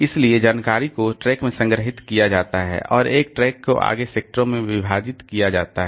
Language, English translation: Hindi, So, information is stored in the track and a track is further divided into sectors